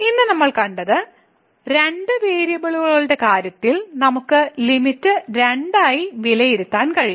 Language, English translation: Malayalam, So, what we have seen today that the limit, we can evaluate the limit in two in case of two variables